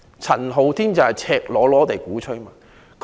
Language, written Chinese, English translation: Cantonese, 陳浩天則是赤裸裸地鼓吹"港獨"。, Andy CHAN however has been blatantly advocating Hong Kong independence